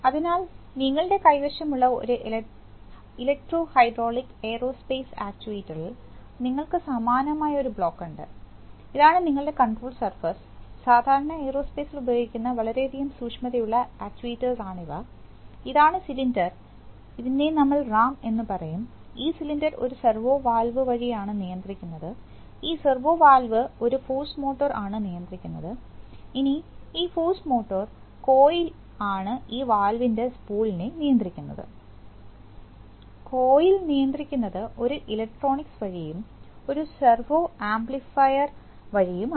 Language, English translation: Malayalam, So in an electro hydraulic aerospace actuator you have, you have a, you have a similar block, so you use you can see that you have this is the final, say control surface, this is a typical actually used in aerospace very precision actuators, this is the cylinder which is sometimes called a ram, this is, so the cylinder is driven by a servo valve, the servo valve is driven by a force motor and the force motor, this is the coil which drives the spool of the valve and that is driven by a, by the electronics, and the servo amplifier